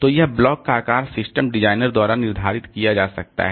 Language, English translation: Hindi, So, it can be the block size can be determined by the system designer